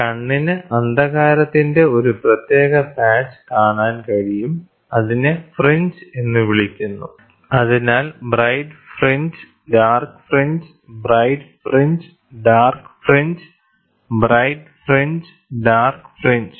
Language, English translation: Malayalam, The eye is able, so, you can see the eye is able, able to see a distinct patch of darkness termed as fringe so, bright fringe, dark fringe, bright fringe, dark fringe, bright fringe, dark fringe